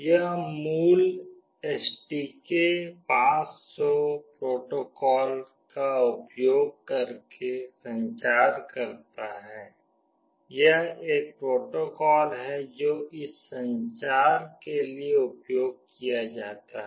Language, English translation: Hindi, It communicates using the original STK500 protocol, this is a protocol that is used for this communication